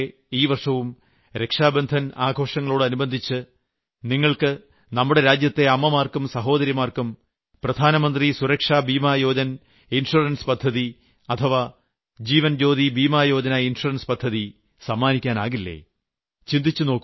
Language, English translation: Malayalam, Just like last year, can't you gift on the occasion of Raksha Bandhan Pradhan Mantri Suraksha Bima Yojna or Jeevan Jyoti Bima Yojna to mothers and sisters of our country